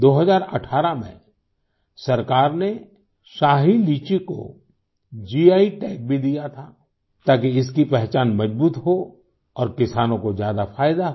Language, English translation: Hindi, In 2018, the Government also gave GI Tag to Shahi Litchi so that its identity would be reinforced and the farmers would get more benefits